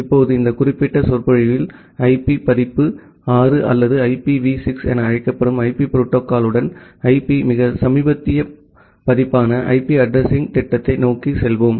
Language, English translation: Tamil, Now, in this particular lecture today, we will move towards the most recent version of IP, the IP addressing scheme along with the IP protocol, which is called a IP version 6 or IPv6